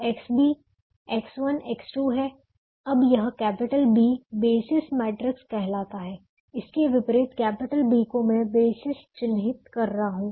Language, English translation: Hindi, now this, this, this capital b, is called the basis matrix whose inverse i am marking